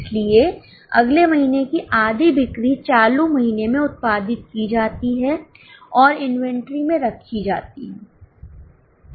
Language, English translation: Hindi, So, half of the next month sales are produced in the current month and kept in the inventory